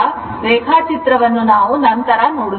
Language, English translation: Kannada, Now, for the diagram we will come later